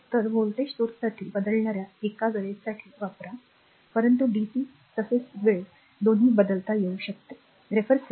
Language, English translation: Marathi, So, be used for a time varying voltage source, but dc as well as time varying both can be made